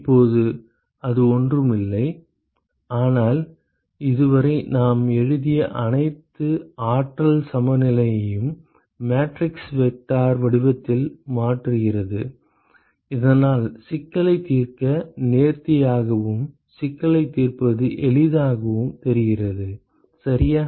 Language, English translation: Tamil, Now, it is nothing, but is transforming all the energy balances that we have written so far in a matrix vector form so that it looks elegant to solve the problem and looks easy to solve the problem, ok